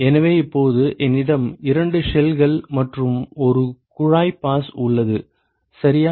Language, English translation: Tamil, So, now, I have two shells and several several tube passes ok